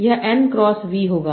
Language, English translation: Hindi, This will be n cross v